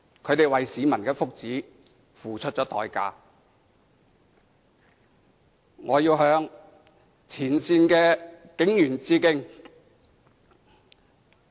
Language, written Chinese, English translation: Cantonese, 他們為市民的福祉付出代價，我要向前線警員致敬。, They have paid a price for the well - being of the people and I must pay tribute to the frontline police officers